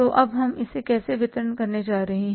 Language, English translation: Hindi, So how much payment we are going to make that